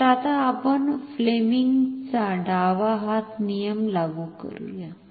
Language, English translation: Marathi, So, now, let us apply Fleming’s left hand rule